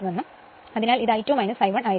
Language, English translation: Malayalam, So, it will be I 2 minus I 1 right